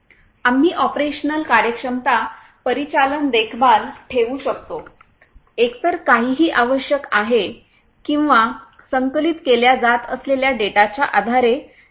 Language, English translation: Marathi, We can monitor the operational efficiency operational maintenance either anything is required or not based on the data that are being collected